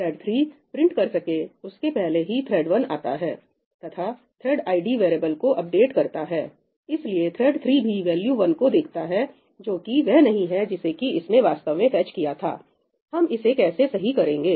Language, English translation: Hindi, before thread 3 could print, thread 1 came and updated the thread id variable and therefore, what thread 3 saw was also the value 1 which is not what it had actually fetched